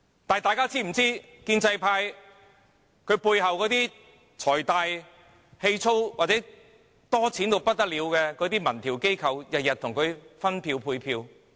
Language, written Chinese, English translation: Cantonese, 但大家是否知道建制派背後財大氣粗或有錢得很的民調機構每天為他們分票、配票？, Yet do they know that the pro - establishment camp is backed by wealthy but obtrusive organizations which are conducting public opinion polls to share out and allot votes every day? . The Government does not see that